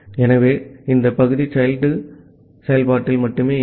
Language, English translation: Tamil, So, this part will only execute at the child process